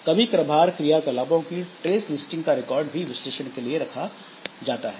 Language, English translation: Hindi, Sometimes using trace listing of activities recorded for analysis